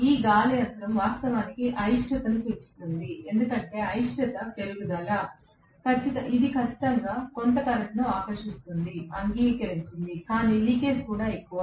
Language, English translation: Telugu, That air gap actually will increase the reluctance because the increase of reluctance, it will draw definitely some current, agreed, but the leakage is also more